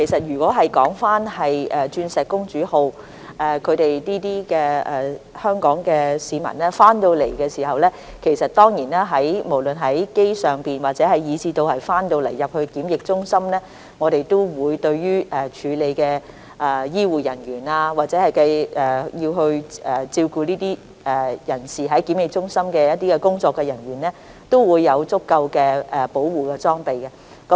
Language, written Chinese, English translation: Cantonese, 如果是鑽石公主號的香港市民，不論是在航機上或他們到港後入住檢疫中心，我們當然會向處理這些人士的醫護人員或在檢疫中心照顧這些人士的工作人員，提供足夠的保護裝備。, We will certainly provide adequate protective equipment to health care personnel who attend to Hong Kong residents on board the Diamond Princess cruise ship and the personnel who attend to them at quarantine centres upon their arrival to Hong Kong